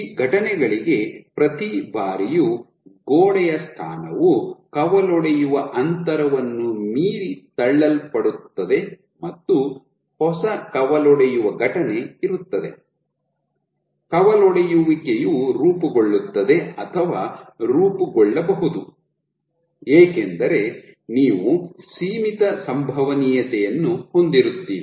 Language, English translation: Kannada, So, once every time for these events then the wall position gets pushed beyond the branching distance there is a new branching event, branch will form or may form because you have a finite probability